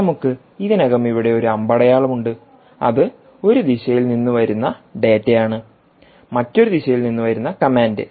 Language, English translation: Malayalam, we have already put down one arrow here, which is data in one direction, command coming from other direction